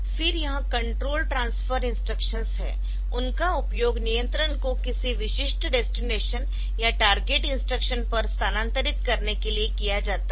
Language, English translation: Hindi, So, this control transfer instruction, so they are used for transferring control between from to a specific dest[ination] destination or target instruction